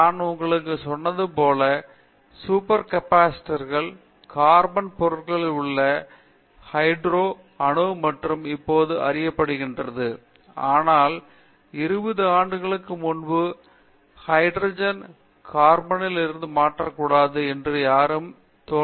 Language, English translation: Tamil, For example, super capacitors as I told you, the hetero atom substitution in carbon materials is now known, but when we started 20 years back nobody even thought that nitrogen can be substituted in carbon